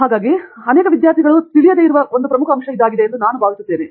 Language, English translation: Kannada, So, I think that is a very important point which is probably missed out by many students